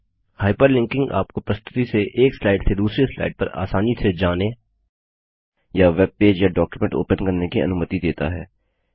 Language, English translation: Hindi, Hyper linking allows you to easily move from slide to slide or open a web page or a document from the presentation